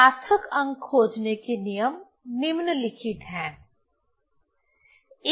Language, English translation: Hindi, So, rules for finding the significant figures are the following